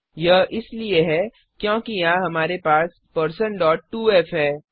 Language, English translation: Hindi, This is because we have % point 2f here